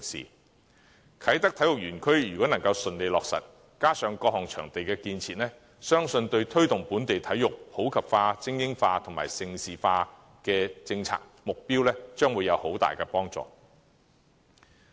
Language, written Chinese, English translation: Cantonese, 如果啟德體育園能夠順利落成，加上各項場地建設，相信對推動本地體育普及化、精英化及盛事化的政策目標，將會有很大幫助。, Upon successful completion the Kai Tak Sports Park together with other sports facilities will be highly conducive to the policy objectives of promoting sports in the community developing elite sports and making Hong Kong a major location for international sports events